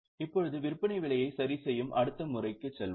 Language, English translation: Tamil, Now let us go to the next method that is adjusted selling price